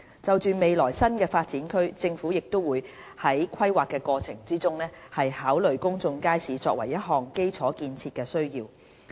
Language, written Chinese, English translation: Cantonese, 就未來的新發展區，政府會在規劃過程中，考慮公眾街市作為一項基礎建設的需要。, In planning for new development areas in the future the Government will consider the need to include public markets as part of the infrastructure